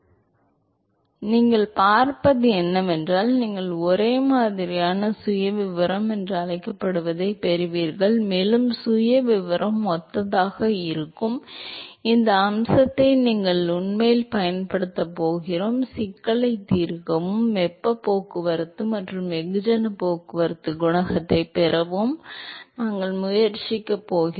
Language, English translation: Tamil, But what you will see is that you will get what is called as similar profile and we actually going to capitalize on this aspect that the profile is similar and we are going to attempt to solve the problem and get the heat transport and mass transport coefficient